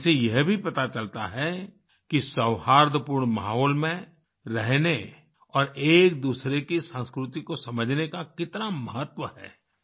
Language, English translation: Hindi, These also show how important it is to live in a harmonious environment and understand each other's culture